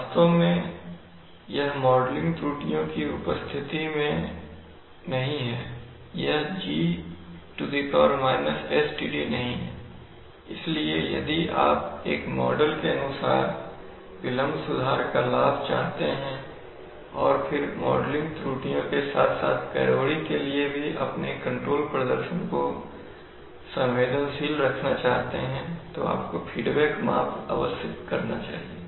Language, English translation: Hindi, Actually this is not in presence of modeling errors this is not G sTd, so if you want to have the benefit of a delay correction according to a model and then also keep your control performance sensitive to modeling errors as well as disturbances then you must feedback measurement